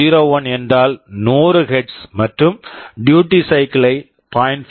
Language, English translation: Tamil, 01 means 100 Hz, and I am specifying the duty cycle as 0